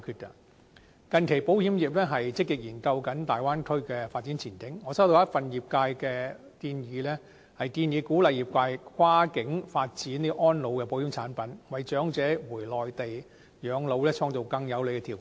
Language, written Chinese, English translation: Cantonese, 近期保險業積極研究大灣區的發展前景，我收到一份業界的建議，鼓勵業界跨境發展安老的保險產品，為長者回內地養老創造更有利的條件。, Recently the insurance industry has proactively examined the development prospect in the Bay Area . I have received a proposal from the industry which advocates the development of cross - boundary insurance products for seniors to further facilitate Hong Kong elderly persons to retire on the Mainland